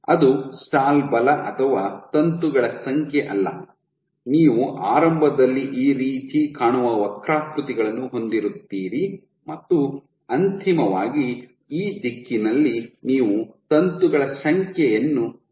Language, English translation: Kannada, So, not the stall force the number of filaments you will have curves which look like this initially and eventually this direction you are increasing the number of filaments